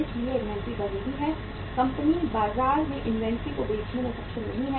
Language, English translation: Hindi, So inventory is mounting, company is not able to sell the inventory in the market